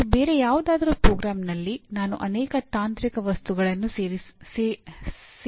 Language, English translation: Kannada, And in some other program, I may not include that many technical objects